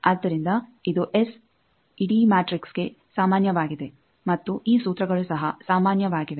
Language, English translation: Kannada, So, S is this is common for the whole matrix and then these formulas